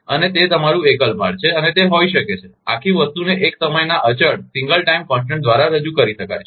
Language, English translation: Gujarati, And that is your single load and it can be, whole thing can be represented by single time constant